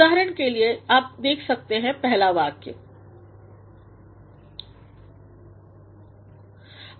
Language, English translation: Hindi, For example, here you can have a look at the first sentence